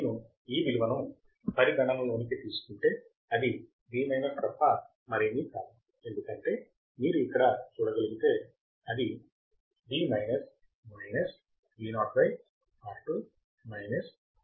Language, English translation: Telugu, And if I consider this value then it will be nothing but Vminus because if you can see here, so it will be Vminus minus Vo by R2 minus Vo by R2